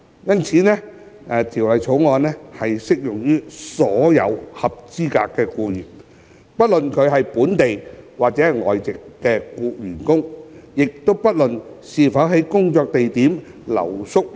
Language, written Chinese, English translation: Cantonese, 因此，《條例草案》適用於所有合資格僱員，不論是本地或外籍員工，亦不論僱員是否在工作地點留宿。, The Bill therefore applies to all eligible employees both local and expatriate irrespective of whether the employees stay overnight at the workplace